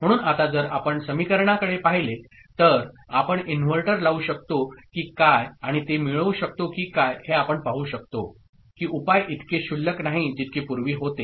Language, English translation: Marathi, So, now if we look at the equation, whether we can put an inverter and all, and we can get it, we can see that the solution is not as trivial as it had been the case before